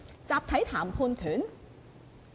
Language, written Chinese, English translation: Cantonese, 集體談判權？, Collective bargaining power?